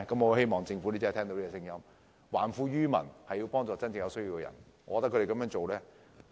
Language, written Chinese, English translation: Cantonese, 我希望政府真的聽到市民的心聲，還富於民，幫助真正有需要的人。, I hope the Government will listen to the voices of the people return wealth to them and help those with genuine need